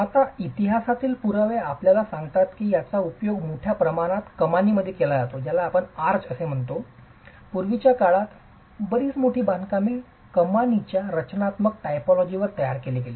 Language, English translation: Marathi, Now, evidence from history tells us that this is widely used in arches and most massive constructions in the past have been constructed on the structural typology of arches